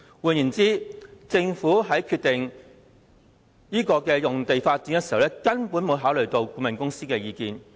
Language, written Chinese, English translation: Cantonese, 換言之，政府在決定這項用地發展項目時，根本沒有考慮顧問公司的意見。, Hence when the Government decided on the project to be developed on the site it simply had not considered the opinion of the consultant